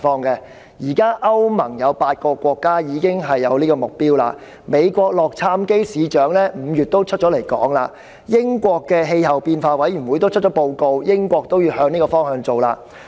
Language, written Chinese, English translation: Cantonese, 現時歐洲聯盟中有8個國家已經採納此目標；美國洛杉磯市長亦在5月表示跟隨這個目標；英國的氣候變化委員會也發表報告，表示英國也會朝這個方向進行減碳工作。, Eight countries in the European Union have now adopted such a target . The Mayor of Los Angeles the United States also stated in May that the city would follow suit . The Committee on Climate Change of the United Kingdom also published a report indicate that the United Kingdom will undertake work on reduction of carbon emissions in this direction